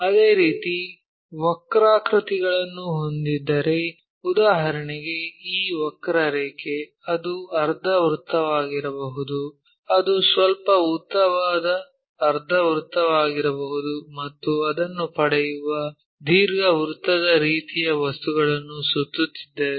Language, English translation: Kannada, Similarly, if we have curves for example, this curve, it can be semicircle it can be slightly elongates ah semicircle also, if we revolve it ellipsoidal kind of objects we will get